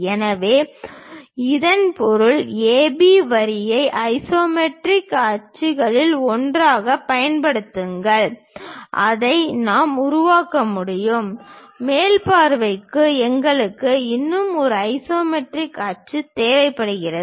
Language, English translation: Tamil, So, that means, use AB line as one of the isometric axis on that we can really construct it; for top view we require one more isometric axis also